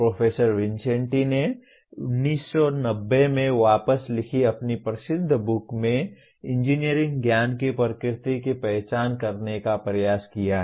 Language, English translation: Hindi, Professor Vincenti attempted to identify the nature of engineering knowledge in his famous book written back in 1990